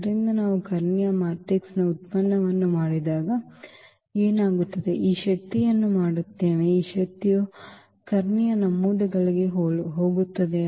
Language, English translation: Kannada, So, what happens when we do the product of the diagonal matrix just simply we will this power; this power will go to the diagonal entries